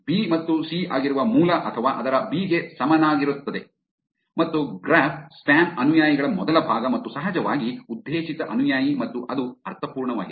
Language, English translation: Kannada, The base which is B and C or its equivalent to B and first part of the graph spam followers and of course, targeted follower and that makes sense